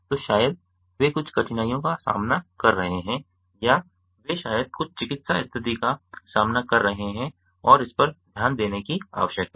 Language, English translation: Hindi, so maybe they are facing some heart shapes or they are maybe facing some medical condition and need to be looked into